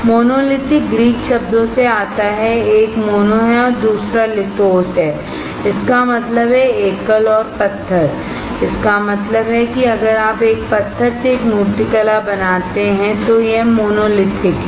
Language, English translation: Hindi, Monolithic comes from the Greek words one is mono and second is lithos; that means, single and stone; that means, that if you carve a single stone to a sculpture it is monolithic, alright